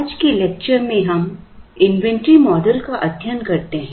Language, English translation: Hindi, In today’s lecture we study inventory models